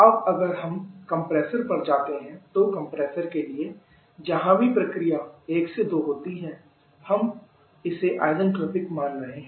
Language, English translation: Hindi, Now, if we move that to the compressor; for the compressor where ever process is 1 to 2 were assume this to be isentropic